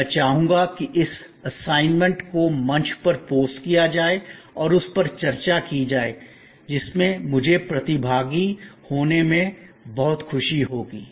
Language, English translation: Hindi, And I would like this assignment to be posted on the forum and discussions on that in which I would be very glad to participant